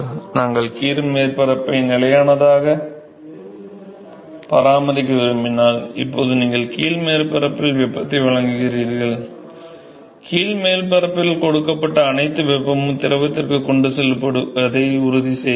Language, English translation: Tamil, See, if you want to maintain the bottom surface constant now you provide heat to the bottom surface, now you have to ensure that all the heat that is given to the bottom surface is now transported to the fluid